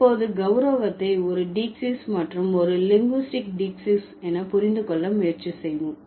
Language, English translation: Tamil, So, now let's try to understand honorification as a diacis, an honorification as a linguistic diaxis